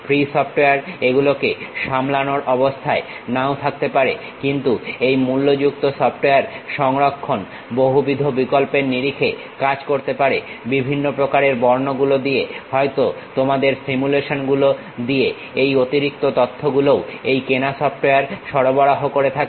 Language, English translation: Bengali, Free software may not be in a position to handle it, but these paid softwares may work, in terms of storage, multiple options, giving different kind of colors, may be giving you simulations also, this extra information also this paid softwares provide